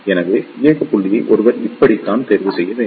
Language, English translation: Tamil, So, this is how one should choose the operating point